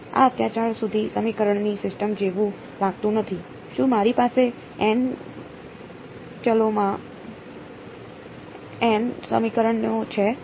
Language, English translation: Gujarati, This does not look like a system of equation so far right, do I have n equations in n variables